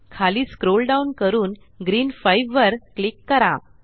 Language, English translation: Marathi, Scroll down and click on Green 5